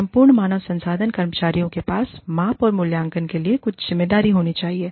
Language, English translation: Hindi, The entire HR staff, should have some responsibility, for measurement and evaluation